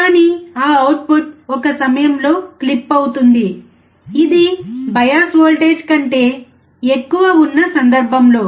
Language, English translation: Telugu, But that output will clip at one point which is more than the bias voltage